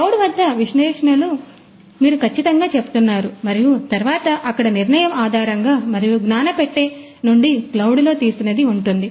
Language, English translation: Telugu, Analytics is performed at the cloud, you are absolutely right and then based on the decision and then you know which is taken in the cloud out of the knowledge box is there